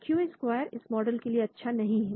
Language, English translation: Hindi, Q square is not good for this model